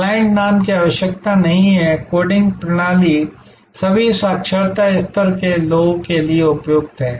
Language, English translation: Hindi, The client name is not even needed and the coding system is suitable for people of all literacy level